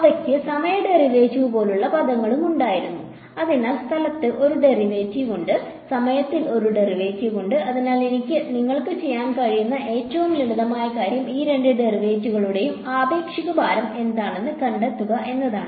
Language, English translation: Malayalam, And they also had terms like time derivative, so there is a derivative in space and there is a derivative in time; and so the simplest thing you can do is to find out what is the relative weight of these two derivatives